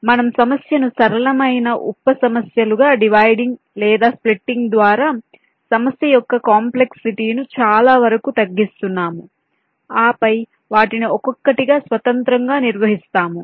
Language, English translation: Telugu, we are reducing the complexity of the problem to a great extent by dividing or splitting the problem into simpler sub problems and then handling them just by one by one, independently